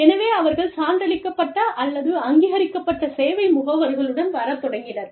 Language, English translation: Tamil, So, they started coming up with, the certified or authorized service agents